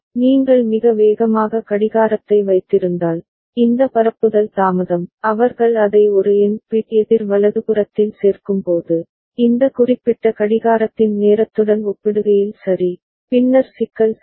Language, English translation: Tamil, And if you are having a very fast clocking right, then this propagation delay, when they add it up for an n bit counter right, and becomes comparable with the time period of this particular clock ok, then there can be problem ok